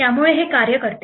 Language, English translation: Marathi, So this works